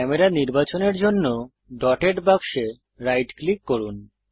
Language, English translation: Bengali, Right clicking on the dotted box to select the camera